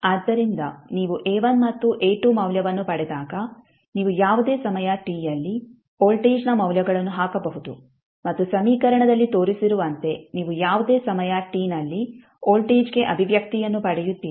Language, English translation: Kannada, So when you get the value of A1 and A2 you can put the values in the value for voltage at any time t and you get the expression for voltage at any time t, as shown in the equation